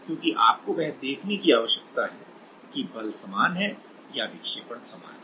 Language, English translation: Hindi, Since what you need to see that; whether the same force is same or the deflection is same